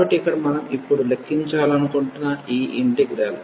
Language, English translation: Telugu, So, here this is the integral we want to compute now